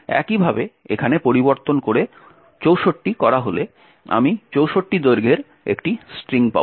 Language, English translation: Bengali, Similarly, by changing this over here to say 64 I will get a string of length 64